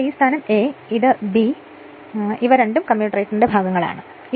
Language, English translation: Malayalam, And here suppose this point is A this segment, this segment is B these two are the commutator segments